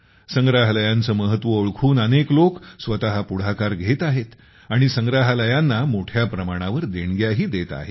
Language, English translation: Marathi, Now, because of the importance of museums, many people themselves are coming forward and donating a lot to the museums